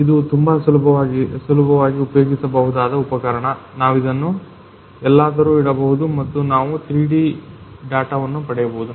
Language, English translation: Kannada, So, it is a very handy thing we can go place it anywhere and we can get the 3D data